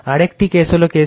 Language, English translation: Bengali, Another one is the case 3